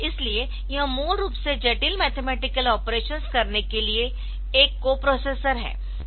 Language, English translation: Hindi, So, this is basically a co processor for doing complex mathematical operation